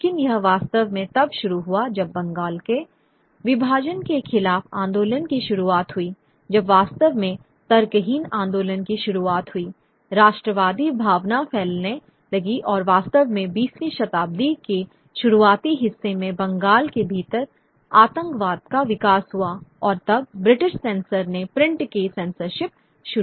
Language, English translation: Hindi, But it wasn't really until the movement against the partition of Bengal when really the national movement starts outpouring, the nationalist sentiments start outpoding and really the growth of what is of terrorism within Bengal in the early part of the 20th century that the British censored, initiated censorship of the print